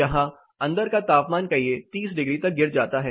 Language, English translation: Hindi, The inside here drops say 30 degrees